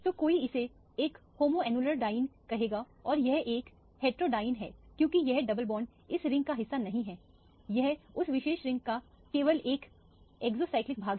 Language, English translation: Hindi, So one would call this as a homoannular diene and this is a heteroannular diene because this double bond is not part of this ring, it is only an exocyclic part of that particular ring